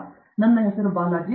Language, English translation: Kannada, So, my name is Balaji